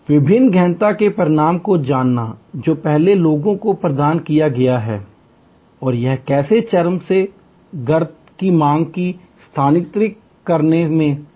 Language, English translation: Hindi, Knowing the result of different intensive that have been provided people before and how it was successful in shifting demand from peak to trough